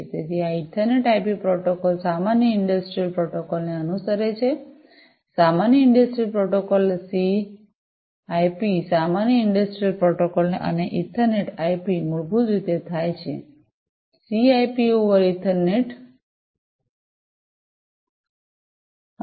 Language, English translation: Gujarati, So, this Ethernet IP protocol follows the common industrial protocol, Common Industrial Protocol CIP, common industrial protocol and Ethernet IP basically happens to be like, CIP over Ethernet, CIP over Ethernet